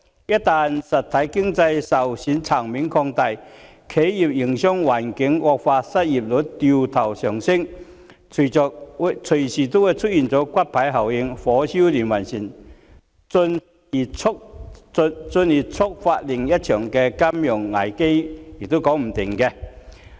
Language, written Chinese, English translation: Cantonese, 一旦實體經濟受損層面擴大，企業營商環境惡化，失業率掉頭上升，隨時會出現骨牌效應，火燒連環船，進而觸發另一場金融危機也說不定。, In the event of the broadening of the scope of damages done to the real economy the business environment of enterprises would be worsened while the unemployment rate would rise . A domino effect would likely be produced and with a series of consequences to follow one after another it would be possible that another financial crisis would be triggered as a result